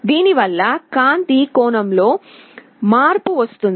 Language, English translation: Telugu, This will result in a change in angle of light